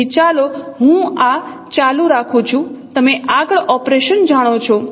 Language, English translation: Gujarati, So let me continue this operation further